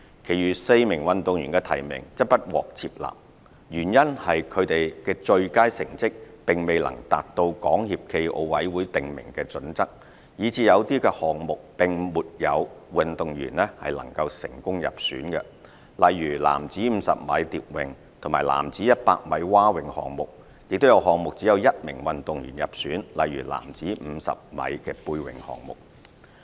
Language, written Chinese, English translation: Cantonese, 其餘4名運動員的提名則不獲接納，原因是他們的最佳成績並未能達到港協暨奧委會訂明的準則，以致有些項目並沒有運動員能成功入選，例如男子50米蝶泳和男子100米蛙泳項目；亦有項目只有1名運動員入選，例如男子50米背泳項目。, The nominations of the remaining four swimming athletes were rejected because their best results could not meet the selection criteria of SFOC . As a result some events such as mens 50 m butterfly and mens 100 m breaststroke were left with no swimming athletes selected; while some other events such as mens 50 m backstroke were left with only one swimming athlete selected